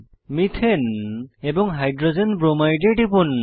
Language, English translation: Bengali, Methane and Hydrogen bromide are formed